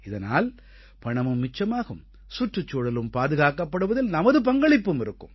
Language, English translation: Tamil, This will result in monetary savings, as well as one would be able to contribute towards protection of the environment